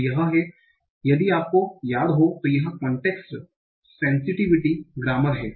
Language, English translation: Hindi, So this is if you remember the context sensitive grammar